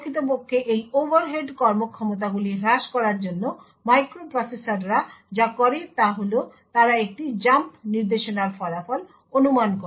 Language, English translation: Bengali, So, in order to actually reduce these performance overheads what microprocessors do is they speculate about the result of a jump instruction